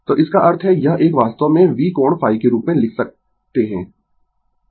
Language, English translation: Hindi, So, that mean this one actually can be written as V angle phi